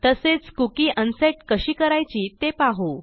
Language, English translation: Marathi, And Ill also show you how to unset a cookie